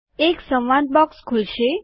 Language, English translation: Gujarati, A dialog box will open